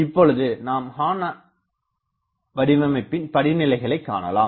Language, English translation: Tamil, And, now I will write horn design steps, horn design steps